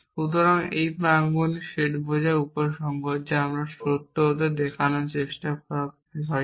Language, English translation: Bengali, So, this is the set of premises implies the conclusion is what we are trying to show to be true